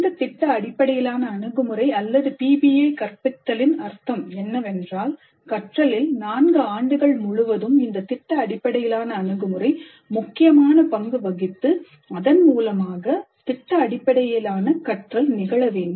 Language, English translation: Tamil, And the project based approach, or PBI, to instruction, essentially means that project work plays a very significant role throughout the program, throughout all the four years, and this results in project based learning